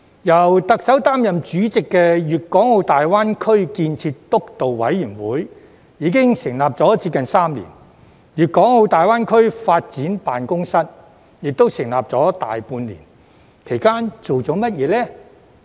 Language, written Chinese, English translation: Cantonese, 由特首擔任主席的粵港澳大灣區建設督導委員會已成立接近3年，粵港澳大灣區發展辦公室亦成立大半年，其間做了甚麼呢？, The Steering Committee for the Development of the Guangdong - Hong Kong - Macao Greater Bay Area chaired by Chief Executive has been established for nearly three years and the Greater Bay Area Development Office has also been established for more than half a year but what has been done during this time?